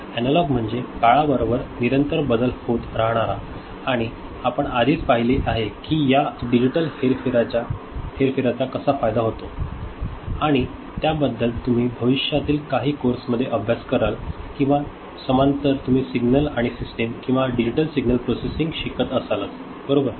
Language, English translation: Marathi, Analog means continuously varying with time and we had already seen that these digital manipulation is of advantage and more about it you will study in some future courses or parallely you are studying in signals and systems or digital signal processing, right